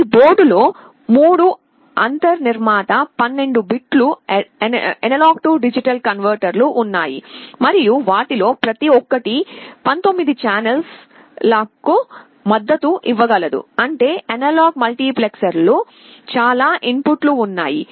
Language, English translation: Telugu, In this board there are 3 built in 12 bit A/D converters and each of them can support up to 19 channels; that means, the analog multiplexer has so many inputs